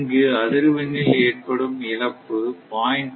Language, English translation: Tamil, So, change in frequency is 0